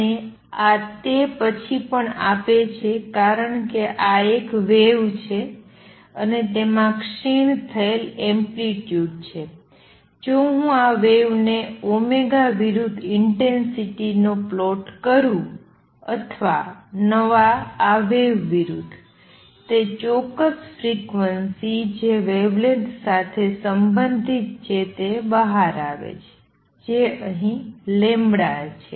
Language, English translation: Gujarati, And this also gives then because this a wave and that has decaying amplitude, if I plot the intensity versus omega for this wave or versus new this wave it comes out to be peak that certain frequency which is related to the wavelength, given here lambda